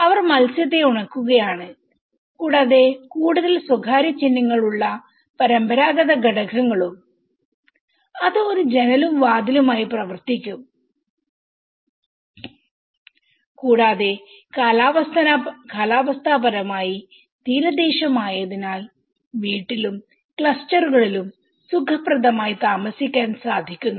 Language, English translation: Malayalam, They are drying of the fish and also the traditional elements which have the more privacy symbols it could act both as a window and door and it is climatically on the coastal side it is very efficient to give comfortable stay in the house and even the clusters